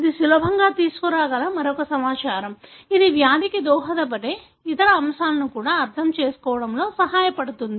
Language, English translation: Telugu, So, it is another information that can easily be brought in which could help in understanding even the other factors that contribute to the disease